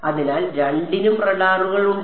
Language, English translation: Malayalam, So, both of them have radars